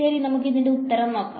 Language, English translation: Malayalam, So, let see what the answer is